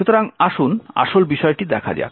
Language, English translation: Bengali, So, let us actually look at it